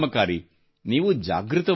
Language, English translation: Kannada, You just have to be alert